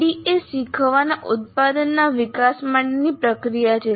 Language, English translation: Gujarati, So, ADI is a process for development of a learning product